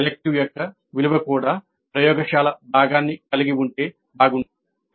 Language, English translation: Telugu, The value of the elective would have been better if it had a laboratory component also